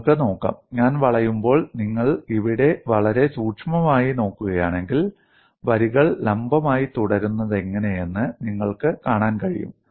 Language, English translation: Malayalam, Suppose I take it and then bend it, you can look at it; if you look at very closely here if when I bend it, you would be able to see how the lines , the lines they remain vertical